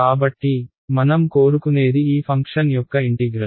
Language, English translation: Telugu, So, and what we want is the integral of this function ok